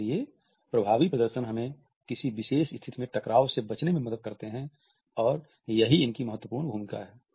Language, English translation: Hindi, And therefore, effective displays help us to avoid friction in a particular situation and this is there significant role